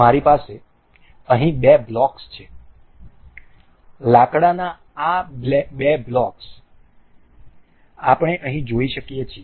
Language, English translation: Gujarati, I have two blocks here, two wooden blocks we can see here